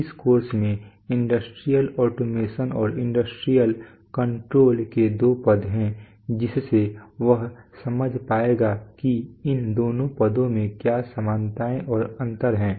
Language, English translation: Hindi, This course has two terms industrial automation and industrial control so he will be able to understand what are the similarities and differences between these two terms